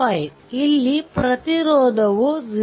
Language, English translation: Kannada, 5 because the resistance is 0